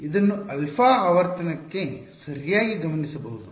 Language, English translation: Kannada, It is got observed into alpha right the frequency and all that